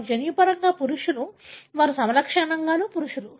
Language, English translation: Telugu, They are genetically male, they are phenotypically male